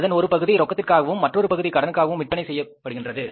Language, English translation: Tamil, Partly it is sold on the cash, partly it is sold on credit